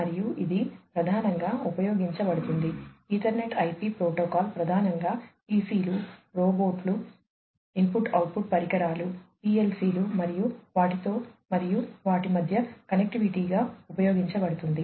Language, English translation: Telugu, And, this is mainly used Ethernet IP protocol is mainly used with PCs, robots, input output devices, PLCs and so on and connectivity between them